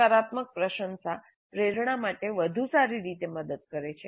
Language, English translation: Gujarati, A positive appreciation does help better motivation